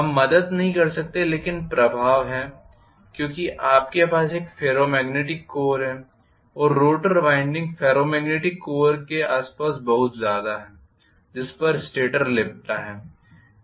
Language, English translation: Hindi, We cannot help but have the influence because you are having a ferromagnetic core and rotor winding is very much in the vicinity of ferromagnetic core on which the stator is wound and vice versa